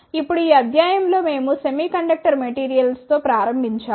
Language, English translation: Telugu, Now, just to conclude, in this lecture we started with semiconductor material